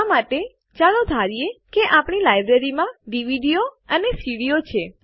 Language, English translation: Gujarati, For this, let us assume that our Library has DVDs and CDs